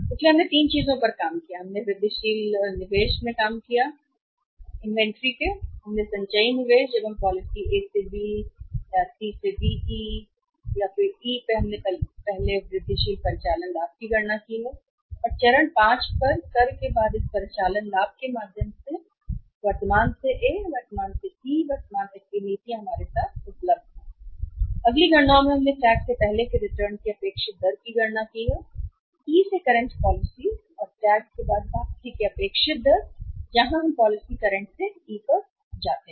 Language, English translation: Hindi, Then we have calculated the incremental operating profit before tax and after tax over the stage this 5 policies from current to A, current to E current through this operating profit is available with us and the next calculations we have calculated the say expected rate of return before tax from the policy current to E and expected rate of return after tax where we move from policy current to E